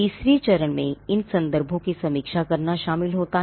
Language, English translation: Hindi, Now the third step involves reviewing these references